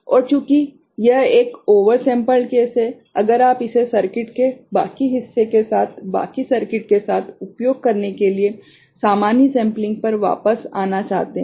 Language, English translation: Hindi, And since it is a oversampled case right, if you want to come back to the normal sampling to use it with rest of the circuit, other part of the circuit